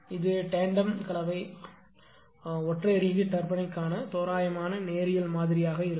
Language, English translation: Tamil, So, this is approximate linear model for tandem compound single reheat steam turbine